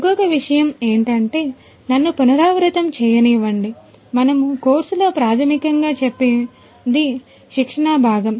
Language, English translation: Telugu, One more thing let me repeat you know what we have covered in the course is basically the training part